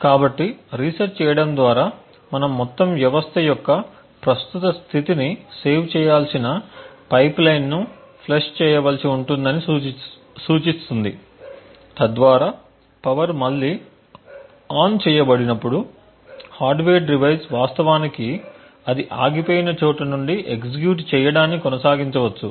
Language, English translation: Telugu, So, resetting would imply that we would need to flush the pipeline we need to save the current state of the entire system so that when the power is turned on again the hardware device can actually continue to execute from where it had stopped